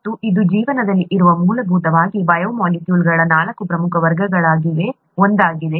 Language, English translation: Kannada, And that is one of the four major classes of basic biomolecules that are present in life